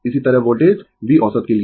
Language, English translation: Hindi, Similarly, for voltage V average